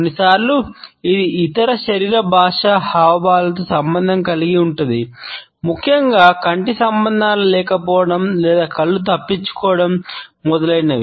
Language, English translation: Telugu, Sometimes, it can be associated with other body linguistic gestures, particularly the absence of eye contact or averted eyes, etcetera